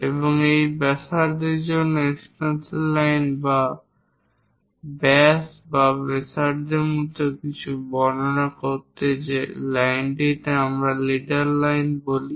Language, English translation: Bengali, And the extension line for this radius to represent something like diameter or radius that line what we call leader lines